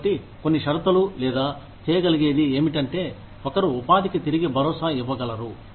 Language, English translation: Telugu, So, some conditions that, or somethings that, one can do is, one can re assure employment